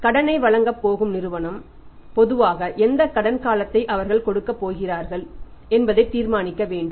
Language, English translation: Tamil, So, the firm who is going to grant the credit has to decide that what credit period normally they are going to give